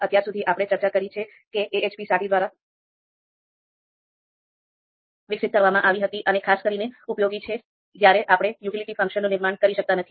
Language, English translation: Gujarati, So as we discussed AHP was developed by Saaty and particularly useful when we are not able to construct the utility function